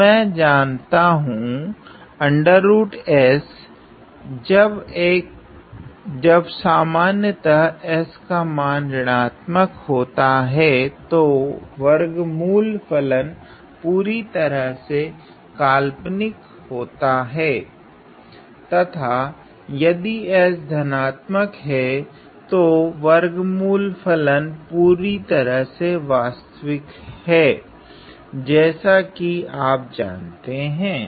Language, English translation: Hindi, So, I know that square root of S; well in general when s becomes negative then the square root function becomes purely imaginary and if S is positive then the square root function is completely real or you know